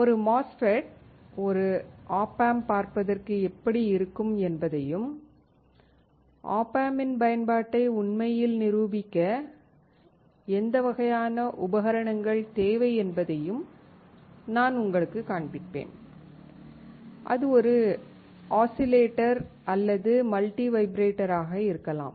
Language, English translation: Tamil, I will also show you how a MOSFET, an op amp looks like, and what kind of equipment do we require to actually demonstrate the use of the op amp; whether it is an oscillator or a multi vibrator